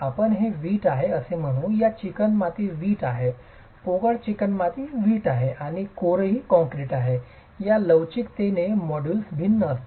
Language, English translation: Marathi, They are all of different, let's say this is clay, this is clay brick, hollow clay brick and the core is concrete itself, the modulus of elasticity of these are going to be different, right